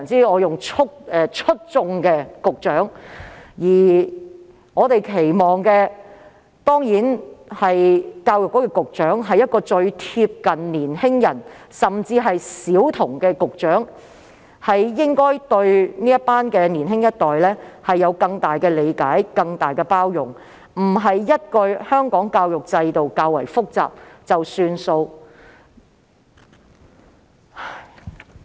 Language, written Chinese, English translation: Cantonese, 我們當然期望教育局局長是一位貼近年輕人和小孩的局長，對年輕一代有更多的理解和更大的包容，而非說一句香港教育制度較為複雜便算。, We certainly expect the Secretary for Education to be a Secretary who is close to young people and children showing more understanding and more tolerance for the young generation instead of simply saying that the education system in Hong Kong is relatively complicated and just let it be